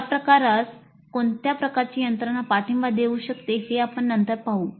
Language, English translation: Marathi, We later see what kind of mechanisms can support this kind of a thing